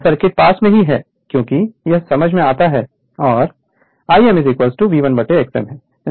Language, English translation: Hindi, Circuit is not the near because, it is understandable and I m is equal to 1 upon X m